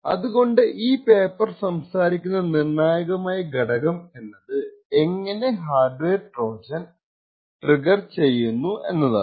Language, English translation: Malayalam, So, the critical aspect what this paper talks about is how would we make triggering the hardware Trojan difficult